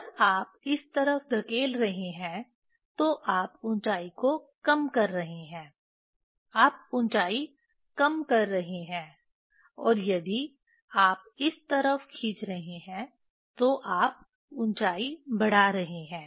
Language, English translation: Hindi, When you are pushing in this side you are decreasing the height; you are decreasing the height and if you are taking pulling out this side you are increasing the height